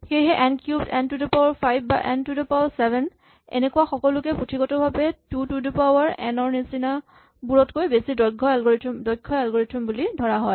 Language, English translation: Assamese, So n cubed, n to the 5, n to the 7, all of these are considered to be theoretically efficient algorithms as compared to 2 to the n and so on